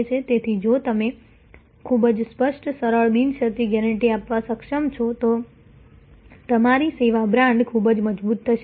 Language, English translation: Gujarati, So, if you are able to give a very clear simple unconditional guarantee, your service brand will be highly strengthened